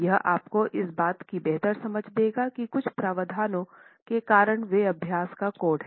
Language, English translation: Hindi, It gives you a better understanding of why certain provisions are the way they are in the code of practice itself